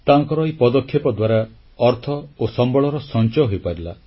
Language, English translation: Odia, This effort of his resulted in saving of money as well as of resources